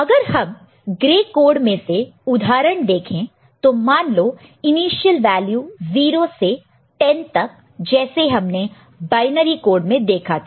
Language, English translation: Hindi, So, if we look at example of some such you know, gray code from the initial value say, 0 to 10, the way we had seen for binary code